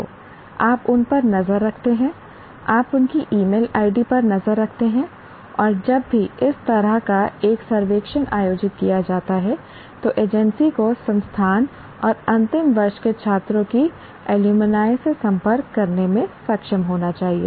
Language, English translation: Hindi, So you keep track of them, you keep track of their email IDs and whenever a survey like this is to be conducted, the agency should be able to contact the alumni of the institute and the final year students